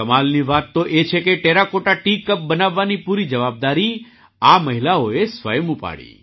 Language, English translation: Gujarati, The amazing thing is that these women themselves took up the entire responsibility of making the Terracotta Tea Cups